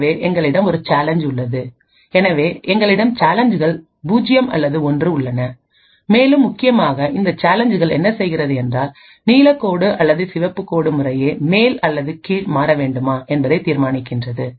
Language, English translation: Tamil, So, we also have a challenge which is present, so we have challenges which is 0 or 1, and essentially what the challenge does is that it decides whether the blue line or the red line should be switched on top or bottom respectively